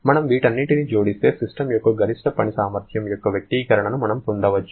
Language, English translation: Telugu, So, if we add all this up, then we can get an expression of the maximum work potential of the system